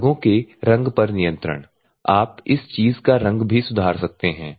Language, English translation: Hindi, At the part control colour, so the colour of this thing also you can improve